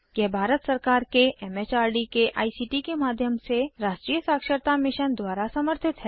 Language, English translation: Hindi, Supported by the National Mission on Education through ICT, MHRD, Government of India